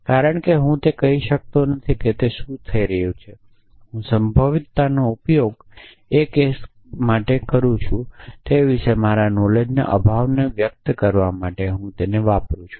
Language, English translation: Gujarati, Because I cannot say what it what is going to fall I just use probability as mechanism for expressing my lack knowledge about what is what really is the cases essentially